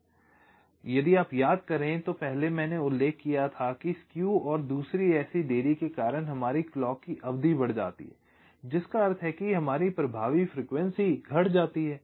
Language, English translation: Hindi, because, if you recall earlier i mentioned that because of the skew and the other such delays, our clock time period increases, which means our effective frequency decreases